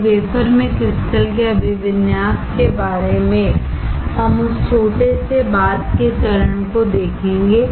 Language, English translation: Hindi, And about the orientation of the crystals in wafer, we will see that little bit later stage